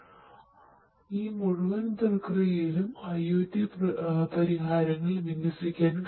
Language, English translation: Malayalam, So, all of these basically in this entire process, IoT solutions could be deployed